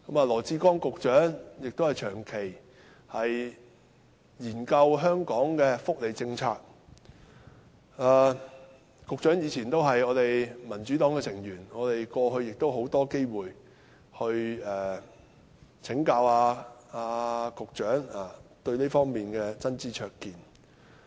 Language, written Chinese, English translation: Cantonese, 羅致光局長長期研究香港的福利政策，他以前也是民主黨成員，我們過去亦有很多機會請教局長對這方面的真知灼見。, Secretary Dr LAW Chi - kwong has studied the social welfare policy in Hong Kong for a long time . He used to be a member of the Democratic Party also . In the past we had a lot of opportunities of seeking the Secretarys valuable advice in this aspect